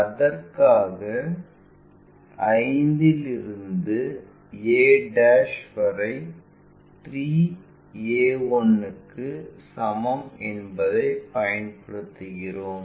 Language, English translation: Tamil, For that we use 5 to a' is equal to 3a 1'